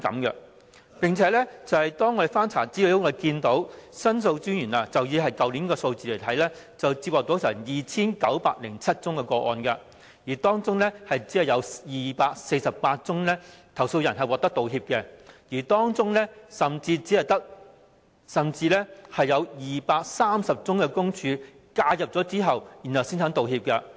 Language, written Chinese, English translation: Cantonese, 而且，經翻查資料後，可發現以申訴專員公署去年的數字而言，在所接獲的 2,907 宗個案中，只有248宗個案的投訴人獲得道歉，其中甚至有230宗是在申訴專員公署介入後才願意道歉。, Moreover statistics show that of all the 2 907 cases received by the Ombudsman last year only 248 cases ended with the offer of an apology to the complainant . And in 230 cases an apology was made only after the intervention of the Ombudsman